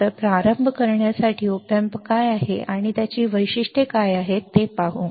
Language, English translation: Marathi, So, to start with let us see what is op amp and what are its characteristics right